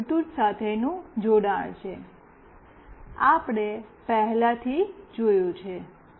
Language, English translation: Gujarati, This is the connection with Bluetooth, we have already seen